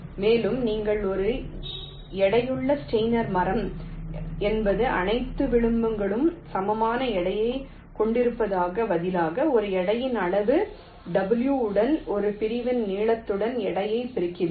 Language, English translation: Tamil, a weighted steiner tree is means: instead of giving equal weights to all the edges, you multiply ah, the weight with a, the length of a segment, with a weight parameter w